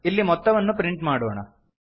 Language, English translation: Kannada, Let us now print the result